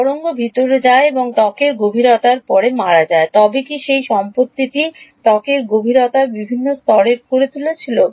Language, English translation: Bengali, Wave goes inside gets absorbed and dies after skin depth, but what made that property to have different levels of skin depth